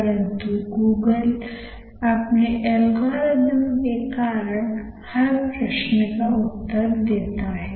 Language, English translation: Hindi, There is a certain algorithm through which Google works